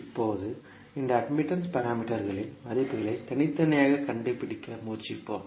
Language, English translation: Tamil, Now, let us try to find out the values of these admittance parameters individually